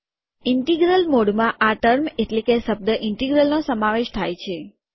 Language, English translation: Gujarati, The integral mode includes the term this integral